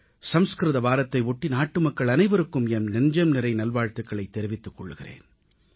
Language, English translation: Tamil, On the occasion of Sanskrit week, I extend my best wishes to all countrymen